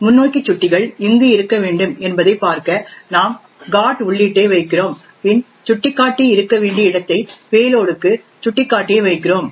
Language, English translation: Tamil, In see in where the forward pointers is supposed to be we are putting the GOT entry and where the back pointer is supposed to be we have putting the pointer to the payload